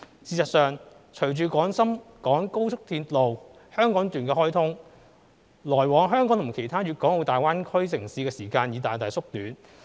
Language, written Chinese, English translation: Cantonese, 事實上，隨着廣深港高速鐵路香港段開通，來往香港與其他大灣區城市的時間已大大縮短。, In fact with the commissioning of the Hong Kong section of the Guangzhou - Shenzhen - Hong Kong Express Rail Link XRL the travelling time between Hong Kong and other GBA cities has been greatly shortened